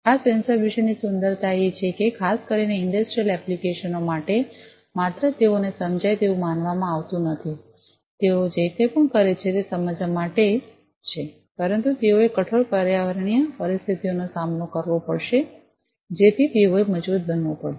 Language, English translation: Gujarati, The beauty about this sensors is that particularly for industrial applications not only they are supposed to sense, whatever they have been made to sense, but also they will have to with stand the harsh environmental conditions they will have to withstand so they have to be robust enough right